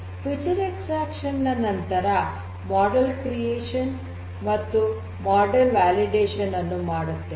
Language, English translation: Kannada, So, following feature extraction there is this model creation and model validation